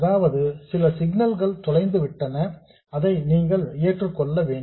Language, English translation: Tamil, That means that some of the signal is lost and you just have to accept that